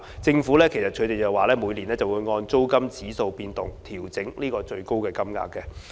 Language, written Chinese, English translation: Cantonese, 政府每年會按租金指數變動調整最高金額。, The Government would adjust the maximum rate annually in accordance with the movement of the rent index